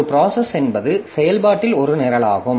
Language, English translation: Tamil, A process is a program in execution